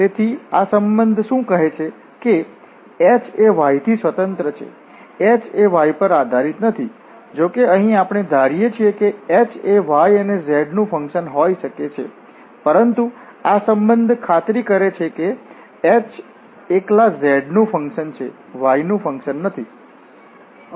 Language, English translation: Gujarati, So what this relation says that h is independent of y h does not depend on y though here we have assume that h can be a function of y and z, but this relation makes sure that h is a function of z alone, it is not a function of y that means h can be a function of z only not the function of y